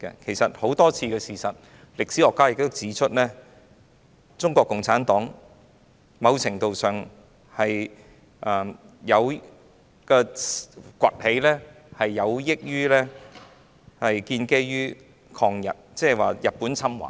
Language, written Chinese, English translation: Cantonese, 事實上，根據眾多事實及歷史學家所指出，中國共產黨的掘起在某程度上是建基於抗日，即日本侵華。, In fact as pointed out by many historians and substantiated by facts the rise of CPC did owe much to the anti - Japanese war that is Japans invasion of China